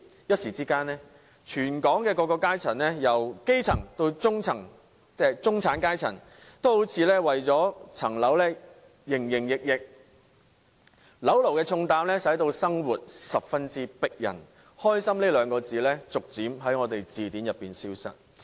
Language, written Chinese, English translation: Cantonese, 一時之間，全港由基層到中產階層的各階層也為了置業而營營役役，當"樓奴"的重擔令香港人生活更艱難，"開心"二字逐漸在我們的字典中消失。, The whole of Hong Kong including people of different social strata ranging from grass roots to the middle class are desperately finding means to buy their own homes on the instant . As those mortgage slaves find it harder than ever to make ends meet under the burden of home mortgages happiness seems to be leaving us farther behind